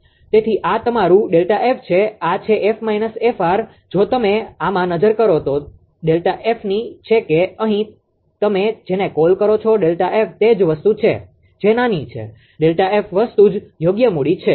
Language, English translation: Gujarati, So, this is your delta F, this is f, f r minus r, if you look into this this delta F is that here what you call this is same thing that is small delta f same thing right capital delta F